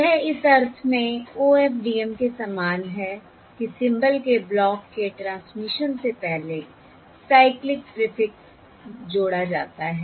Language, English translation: Hindi, This is similar to OFDM in the sense that before transmission of the block of symbol one adds the cyclic prefix